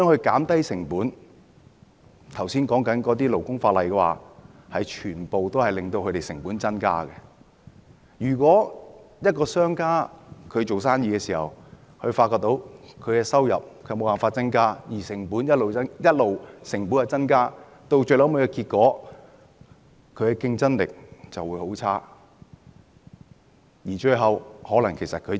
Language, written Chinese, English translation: Cantonese, 剛才提到的勞工法例全都會增加成本，如果一個商家經營生意時發現無法增加收入，但成本卻上升，結果會是他公司的競爭力變差，最後可能要結業。, The labour legislation mentioned just now will all lead to a rise in costs . If a businessman finds it impossible to increase the business revenues whereas the costs keep mounting his or her company will consequently become less competitive and may have to close down in the end